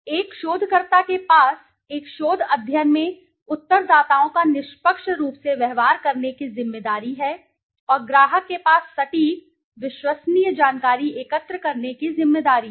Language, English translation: Hindi, A researcher has the responsibility to treat respondents fairly in a research study and has a responsibility to the client to gather accurate, reliable information